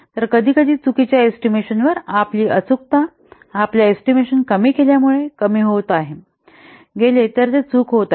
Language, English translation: Marathi, So sometimes due to wrong assumptions, your estimate, it becoming less accurate, it is becoming wrong